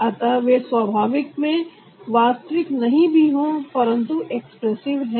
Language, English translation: Hindi, so maybe they not real on natural, but they are expressive so we use it for expression